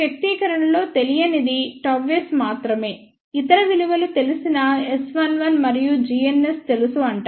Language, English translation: Telugu, In this expression the only unknown is gamma s other values are known S 1 1 is known and g n s is known